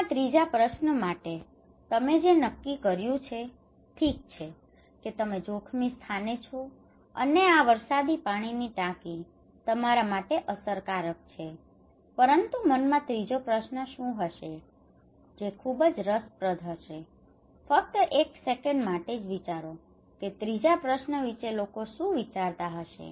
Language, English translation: Gujarati, Third questions in mind so you decided that okay you are at a risky place this rainwater tank is effective, but what would be the third question in mind that is very interesting is it not it so just think for a second what is the third questions possibly people think